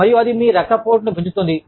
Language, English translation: Telugu, And, that is causing your blood pressure, to go up